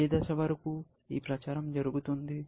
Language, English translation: Telugu, Till what stage, this propagation goes